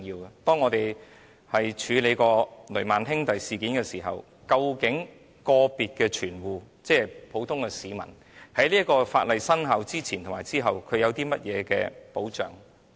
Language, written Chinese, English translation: Cantonese, 正如當日我們曾處理的雷曼兄弟事件，究竟個別的存戶，即普通市民在法例生效前後有何保障？, As in the case of the Lehman Brothers incident handled by us before what protection is afforded individual depositors or ordinary citizens before and after the enactment of the legislation?